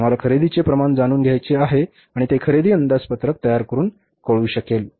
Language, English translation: Marathi, We want to know the amount of purchases and that will be possible to be known by preparing the purchase budget